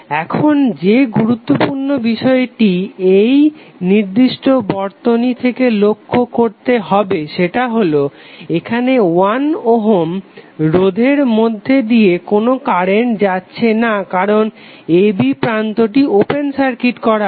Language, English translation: Bengali, Now important thing which you need to see from this particular circuit is that there would be no current flowing through this particular resistance because the terminal a b is open circuit